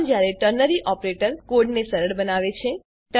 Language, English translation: Gujarati, This is when ternary operator makes code simpler